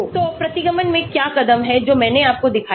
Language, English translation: Hindi, So what are the steps in regression which I showed you